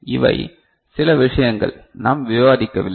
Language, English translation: Tamil, These are certain things, we did not do, did not discuss